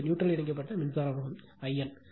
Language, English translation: Tamil, This is neutral connected current flowing through I n right